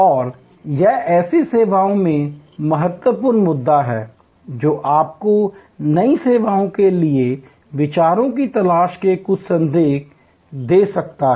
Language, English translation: Hindi, And this is the critical issue in such services, which can give you some hint of looking for ideas for new services